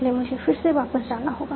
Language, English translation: Hindi, So I have to go back again